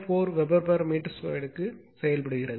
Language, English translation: Tamil, 4 Weber per meter square